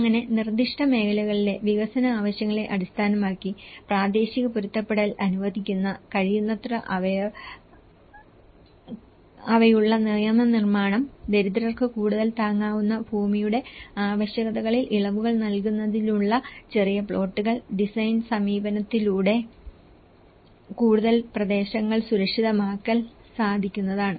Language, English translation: Malayalam, So, the legislation which could be flexible enough to allow for local adaptation based on the development needs in specific areas, smaller plots for relaxation of requirements for more affordable land for the poor and possible to make some more areas safe through design approach